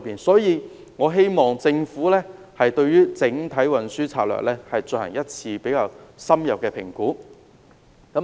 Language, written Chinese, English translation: Cantonese, 因此，我希望政府可以就整體運輸策略進行一次較深入的評估。, I thus hope that the Government can conduct an in - depth assessment on the overall transport strategy